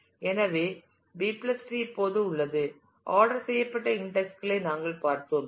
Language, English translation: Tamil, So, B + tree has now; what we have seen we have seen the ordered indexes